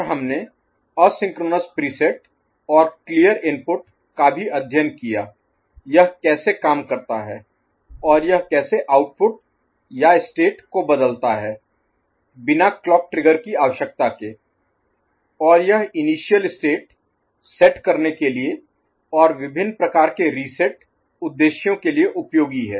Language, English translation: Hindi, And we also studied asynchronous preset and clear input, how it performs and how it changes the output or the state without requirement of a clock trigger and which is useful for initialization and various kind of resetting purposes